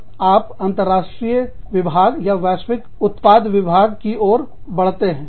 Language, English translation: Hindi, Then, you move on to, international division or global products division